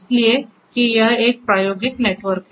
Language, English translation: Hindi, Is because this is an experimental network